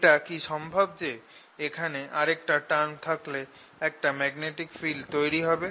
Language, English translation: Bengali, is it possible that there could be another term here which gives rise to magnetic field